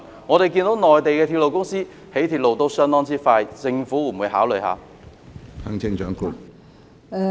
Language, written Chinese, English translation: Cantonese, 內地的鐵路公司興建鐵路效率相當高，政府會否考慮一下？, Will the Government consider Mainland railway companies which have been highly efficient in railway construction?